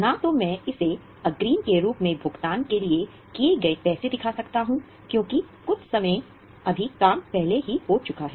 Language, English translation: Hindi, Neither I can show the money paid just as an advance because some work has already happened